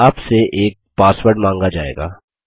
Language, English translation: Hindi, You will be prompted for a password